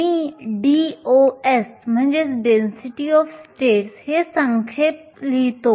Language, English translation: Marathi, I will write this an abbreviation DOS